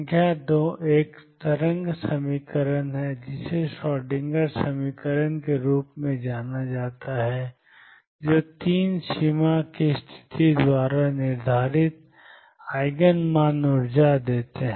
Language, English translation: Hindi, Number 2 there is a wave equation known as the Schrodinger’s equation, and 3 the Eigen values determined by the boundary condition give the energies